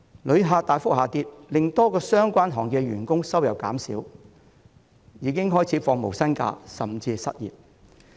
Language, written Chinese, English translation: Cantonese, 旅客數目大幅下跌令多個相關行業的員工收入減少，他們已經開始放無薪假甚至失業。, The drastic drop in the number of visitors has brought down the income of workers in a number of associated sectors . They have started to take no - pay leave or even become jobless